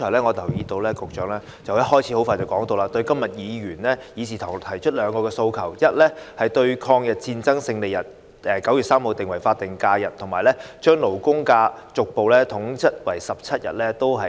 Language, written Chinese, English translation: Cantonese, 我留意到局長剛才發言時，很快便拒絕今天議事堂提出的兩項訴求：第一，把抗日戰爭勝利日9月3日列為法定假日；第二，把法定假日和公眾假期逐步統一為17天。, I noticed that when the Secretary spoke earlier he quickly rejected the two demands made by some Members in this Chamber First designating the Victory Day of the Chinese Peoples War of Resistance against Japanese Aggression ie . 3 September as a statutory holiday; second gradually aligning the numbers of statutory holidays and general holidays at 17 days